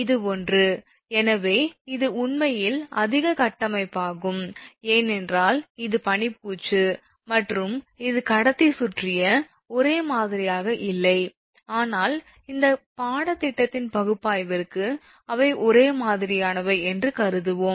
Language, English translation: Tamil, So, is this one; so this is actually more likely configuration, because this is the ice coating and this is not uniform around the conductor, but for the analysis in this course, we will assume they are uniform